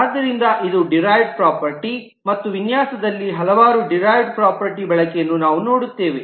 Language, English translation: Kannada, So this is the concept of derived property and we will see the use of several derived property in the design